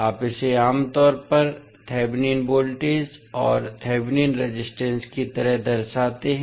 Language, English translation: Hindi, You generally represent it like thevenin voltage and the thevenin resistance